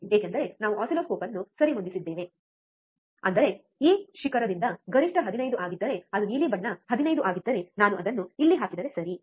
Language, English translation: Kannada, Because we have adjusted the oscilloscope, such that even the this peak to peak is 15 that is the blue one is 15 if I if I put it here, right